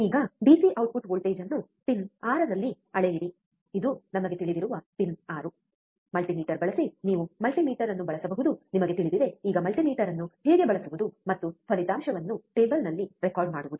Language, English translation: Kannada, Now, measure the DC output voltage at pin 6 this is pin 6 we know, right using multimeter you can use multimeter, you know, how to use multimeter now and record the result in table